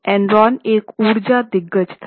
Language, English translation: Hindi, Now, Enron was an energy giant